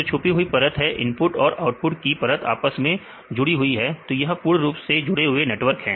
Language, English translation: Hindi, In this the hidden layer they are connected with this inputs layer as well as the output layer this is the completely connected networks